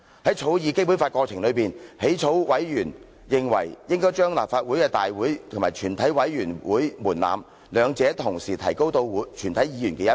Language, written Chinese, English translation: Cantonese, 於草擬《基本法》過程當中，起草委員認為應該將立法會大會及全體委員會會議法定人數的門檻，兩者同時提高到全體議員的一半。, During the drafting of the Basic Law members of the Drafting Committee considered that the quorum thresholds for Council meetings and the committee of the whole Council should be raised to half of all Members at the same time